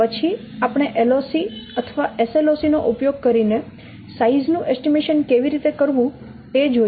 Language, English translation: Gujarati, Then we have presented how to find out how to estimate size using LOC or SLOC